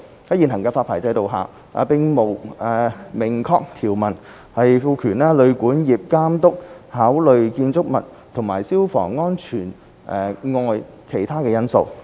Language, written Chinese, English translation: Cantonese, 在現行發牌制度下，並無明確條文賦權旅館業監督考慮建築物和消防安全外的其他因素。, Under the current licensing regime there is no express provision empowering the Hotel and Guesthouse Accommodation Authority to take into account the factors other than building and fire safety